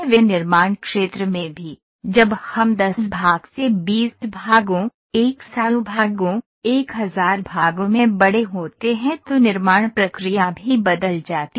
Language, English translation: Hindi, In manufacturing also, when we as and when we scale up from 10 part to 20 parts, 100 parts, 1000 parts the manufacturing process also changes